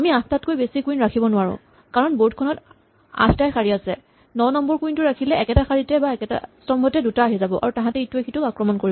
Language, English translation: Assamese, Now we cannot place more than 8 queens; because, there are only 8 rows if you place 9 queens, 2 will be in the same row or the same column and the same column